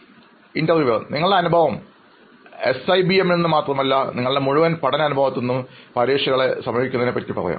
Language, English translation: Malayalam, Basically you can share your experience not only from SIBM, your entirely, from your entire learning experience you can tell us how you probably approach examinations